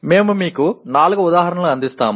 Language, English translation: Telugu, We will offer you four examples